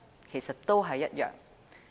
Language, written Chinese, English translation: Cantonese, 其實都是一樣。, It is actually the same